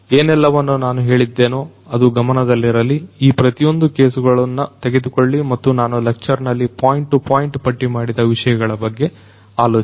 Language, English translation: Kannada, Keep in mind whatever I have said that take up each of these different cases and think about the items that I have listed in the points to point out in this particular lecture